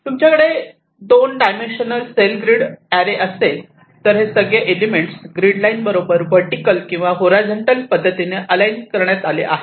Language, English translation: Marathi, like if you are having a two dimensional array of grid cells, everything will be aligned to the grid lines, the horizontal and vertical